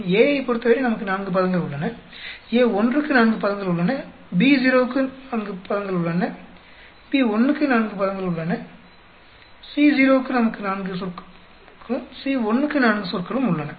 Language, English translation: Tamil, Because for A naught, we have 4 terms, for A1 we have 4 terms, for B naught we have 4 terms, for B1 we have 4 terms, for C naught, we have 4 terms and C1 also 4 terms